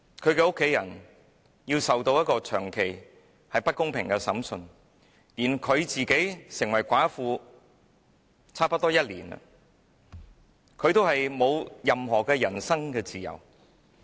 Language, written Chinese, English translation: Cantonese, 他的家人要接受長期不公平的審訊，而劉霞成為寡婦已差不多1年，但仍沒有人身自由。, His family members are persistently subjected to unfair trials . LIU Xia has become a widow for almost a year but she still does not have any freedom of person